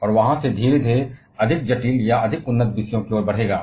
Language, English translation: Hindi, And from there gradually shall be moving to more complicated or more advanced topics